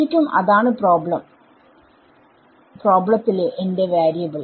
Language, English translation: Malayalam, That was exactly my variable in the problem